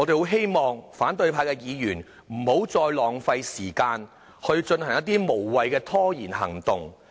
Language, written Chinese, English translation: Cantonese, 希望反對派議員不要再浪費時間作無謂的拖延。, I hope Members of the opposition camp will stop wasting time on undue procrastination